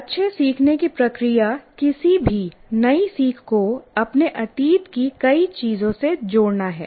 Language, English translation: Hindi, So the process of good learning is to associate any new learning to many things from our past